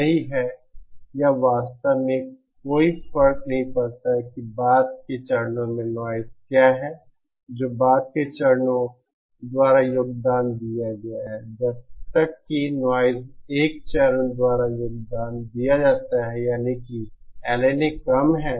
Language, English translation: Hindi, That is, it does not really matter what the subsequent stages what is the noise contributed by the subsequent stages as long as the noise contributed by the 1st stage that is the LNA is less